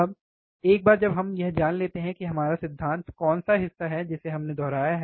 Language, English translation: Hindi, Now, once we know this which is our theory part which we have kind of repeated, right